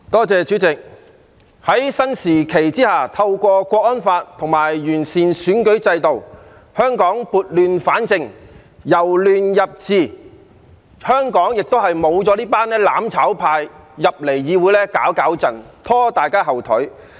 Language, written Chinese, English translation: Cantonese, 主席，在新時期下，透過《香港國安法》和完善選舉制度，香港撥亂反正、由亂入治，現在亦沒有那些"攬炒派"在議會內搗亂，拖大家後腿。, President thanks to the Hong Kong National Security Law and the improvement to the electoral system Hong Kong is able to set things straight and move on from chaos to stability in this new era and Members advocating mutual destruction are no longer here in the legislature to cause trouble and hindrance to us